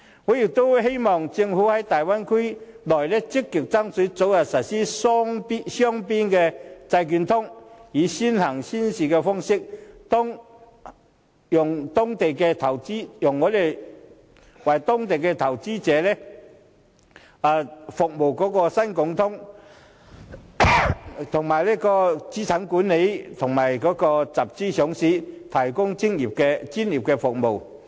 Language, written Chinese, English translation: Cantonese, 我亦希望政府在大灣區內，積極爭取早日實施雙邊債券通，以先行先試方式，讓中港兩地投資者可透過新股通跨境認購對方市場發行的新股，為資產管理和集資上市提供專業服務。, I hope that the Government will actively strive for the early implementation of bilateral bond connect in the Bay Area on a pilot basis so that investors in China and Hong Kong can subscribe for new shares issued in the market of each other through the new stock connect and that the financial sector can provide professional services relating to asset management and fund - raising listings